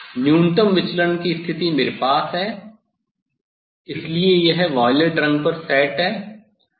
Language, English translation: Hindi, next minimum deviation position I have to, so this is set at the violet colour